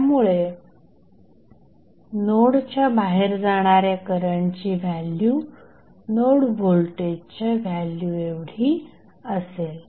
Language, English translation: Marathi, So, the value of current going outside the node, this current would be the value of node voltage